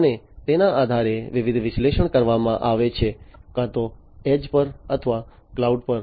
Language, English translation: Gujarati, And based on this, the different analytics are performed, either at the edge or at the cloud